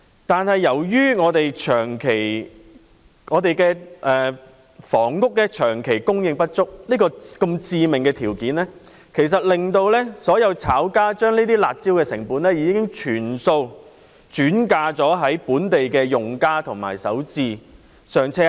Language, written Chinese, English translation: Cantonese, 但是，由於本港房屋長期供應不足，這個致命的條件已令所有"炒家"把"辣招"的成本全數轉嫁本地用家及首置"上車"客。, However given the perennial shortage of housing in Hong Kong all speculators have taken advantage of this fatal drawback to shift the costs incurred by the curb measures to local users and first - time property buyers